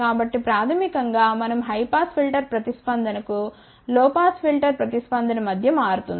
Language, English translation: Telugu, So, basically we are switching between low pass filter response to the high pass filter response